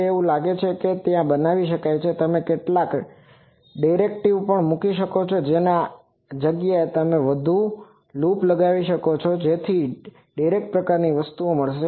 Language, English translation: Gujarati, Now, this one seems that it can it has make that and also you can put some directors you see instead of one there are more loops so that gives a director sort of thing